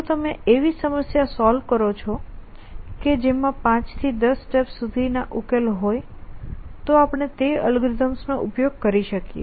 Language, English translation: Gujarati, So, if you are the problem in which the solutions of 5 steps longer 10 steps long then we could use is algorithms for solving them